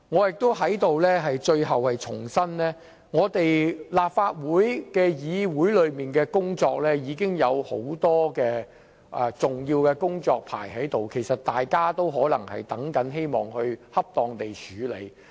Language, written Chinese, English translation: Cantonese, 最後我在這裏重申，立法會議程上已經有很多重要的工作尚待我們處理，大家希望可以恰當處理有關工作。, Finally I wish to reiterate that the Legislative Councils agenda has already been stuffed with many important tasks awaiting us to handle and everyone wants to handle these tasks properly